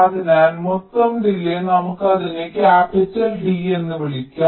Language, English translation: Malayalam, so the total delay, lets call it capital d